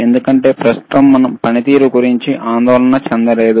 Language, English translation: Telugu, Right now, because we are not worried about the performance,